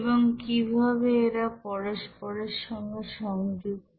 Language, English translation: Bengali, And how they are related